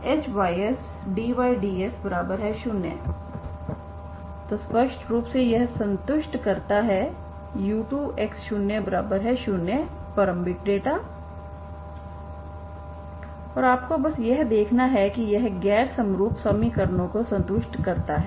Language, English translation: Hindi, So clearly it satisfies u2 this satisfies this initial data and you just you have to see that it satisfies the non homogeneous equations